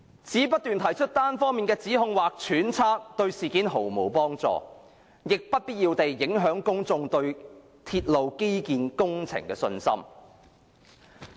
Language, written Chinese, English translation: Cantonese, 只不斷提出單方面的指控或揣測，對事件毫無幫助，亦不必要地影響公眾對鐵路基建工程的信心。, Just making one - sided allegations or speculations repeatedly will not help resolve the issue in any way but will unnecessarily undermine public confidence in railway infrastructure projects